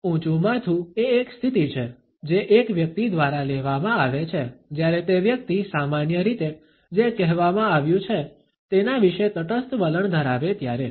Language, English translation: Gujarati, Head up is a position, which is taken up by a person who normally, has a neutral attitude about what is being said